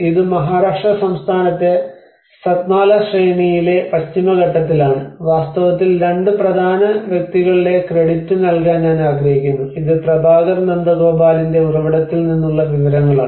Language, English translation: Malayalam, This is in the Western Ghats in the Satmala range of the Western Ghats in Maharashtra state of India and in fact I want to give a credit of two important people like this is most of the information this has been from the source of Prabhakar Nandagopal